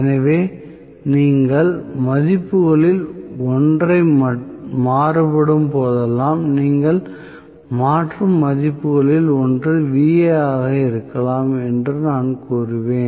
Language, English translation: Tamil, So, I would say whenever you are varying one of the values may be Va you are changing